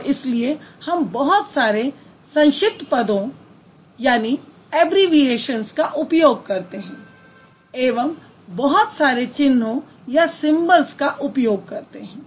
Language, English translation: Hindi, So that is why we use a lot of abbreviations and we also use a lot of symbols